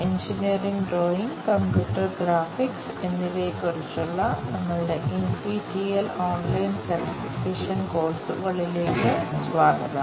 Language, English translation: Malayalam, Welcome to our NPTEL Online Certification Courses on Engineering Drawing and Computer Graphics